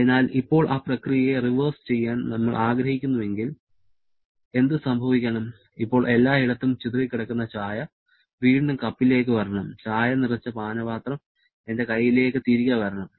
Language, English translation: Malayalam, So, if we want to now reverse that process, then what should happen, that tea which is now scattered everywhere that should come back to the cup and that cup filled with tea should come back to my hand